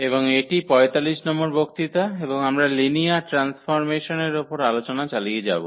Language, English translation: Bengali, And this is lecture number 45 and we will be talking about or continue our discussion on Linear Transformations